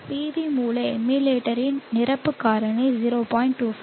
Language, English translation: Tamil, 25 the fee factor of this PV source emulator is 0